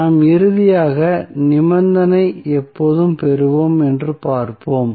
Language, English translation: Tamil, So, that we will see when we will finally derive the condition